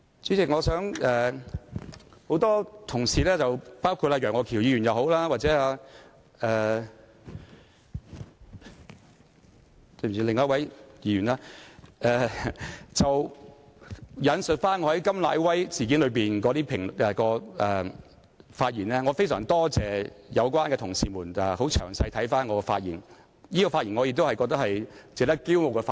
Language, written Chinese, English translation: Cantonese, 代理主席，很多同事包括楊岳橋議員及另一位議員也引述我在甘乃威事件中的發言，我非常多謝有關同事詳細地閱讀我的發言內容，而那次發言也是我認為值得驕傲的發言。, Deputy President many colleagues including Mr Alvin YEUNG and another Member have quoted the remarks I made on KAM Nai - wai incident . I very much appreciate the effort made by those colleagues in studying the content of my speech . In fact I am proud of the speech I made on that occasion